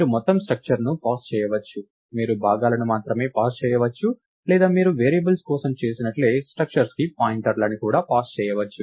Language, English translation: Telugu, You can pass the entire structure, you can pass only the components or you can even pass a pointer to the structure, just like you would do for variables